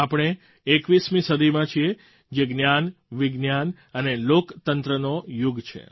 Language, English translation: Gujarati, We live in the 21st century, that is the era of knowledge, science and democracy